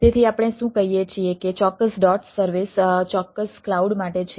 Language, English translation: Gujarati, so what we say, that the particular dos service is for a particular cloud, so it a